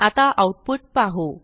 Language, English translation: Marathi, Now let us see the output